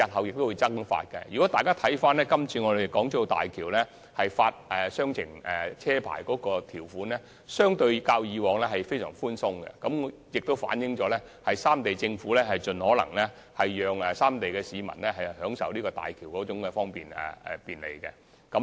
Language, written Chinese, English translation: Cantonese, 如果大家參閱今次申請大橋兩地牌私家車配額的條款，便會發現較以往寬鬆很多，反映三地政府會盡可能讓三地市民享受大橋的便利。, If Members refer to the current conditions for applying for a cross - boundary private car quota to use HZMB they will notice that the conditions are much more lenient than before . This shows that the three Governments are trying their best to enable the people of the three places to enjoy the convenience brought by HZMB